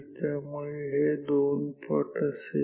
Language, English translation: Marathi, So, this is the 2 times A